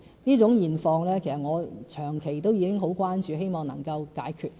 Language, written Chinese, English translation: Cantonese, 這種現況其實我是長期很關注，希望能夠解決。, This is an undesirable situation . This situation has been my long - standing concern one which I hope to rectify